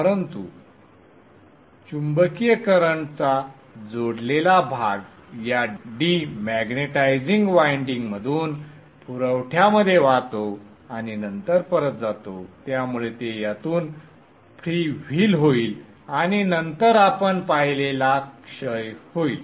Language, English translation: Marathi, But the coupled part of the magnetizing current will flow through this demonetizing winding into the supply and then back so it will freewheel through this and then decay that we have seen